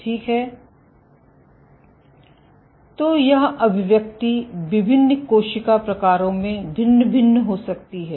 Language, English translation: Hindi, So, this expression can vary across cell types